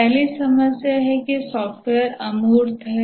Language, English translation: Hindi, The first problem is that software is intangible